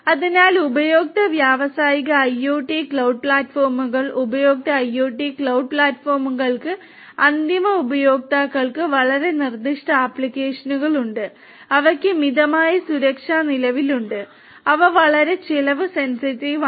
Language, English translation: Malayalam, So, consumer versus industrial IoT cloud platforms, consumer IoT cloud platforms have very specific applications for from end users, they have modest levels of security implemented and they are very cost sensitive